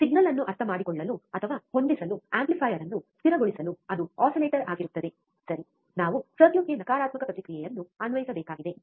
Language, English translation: Kannada, It will be an oscillator to, to make the amplifier stable to understand or adjust the signal, right, we need to apply a negative feedback to the circuit